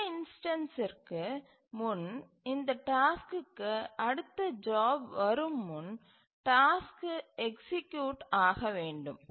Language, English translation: Tamil, So, before the next instance, next job arrives for this task, the task must execute